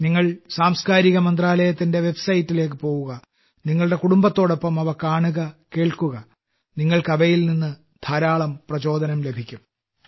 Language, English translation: Malayalam, While visiting the website of the Ministry of Culture, do watch and listen to them with your family you will be greatly inspired